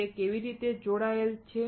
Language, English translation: Gujarati, How it is connected